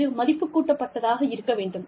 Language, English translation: Tamil, It has to be, a value addition